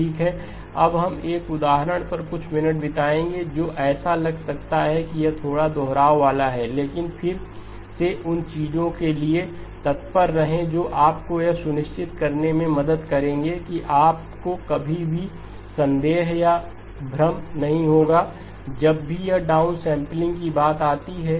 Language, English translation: Hindi, Okay now we will spend a few minutes on an example which may seem like it is a little bit repetitive but again keep lookout for those things which will help you make sure that you will never have a doubt or a confusion whenever it comes to downsampling